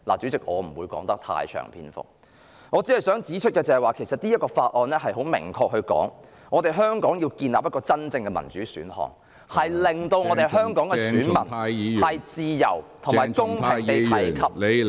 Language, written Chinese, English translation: Cantonese, 主席，我不會贅述，我只想指出，《香港人權與民主法案》很明確地說，香港要建立真正的民主選項，令香港的選民自由和公平地......, President while I will not go into details on the matter I only wish to point out that the Hong Kong Human Rights and Democracy Act has specifically stated that Hong Kong must provide options for establishing genuine democracy and that electors in Hong Kong can freely and fairly